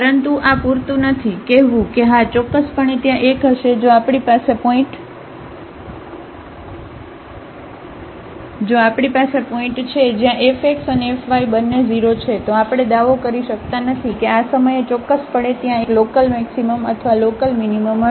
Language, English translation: Gujarati, But this is not sufficient to say that yes definitely there will be a if we have a point where f x and f y both are 0 then we cannot claim that at this point certainly there will be a local maximum or local minimum